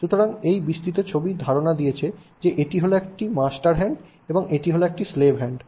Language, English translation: Bengali, So, he takes this broader picture of a master hand and slave hand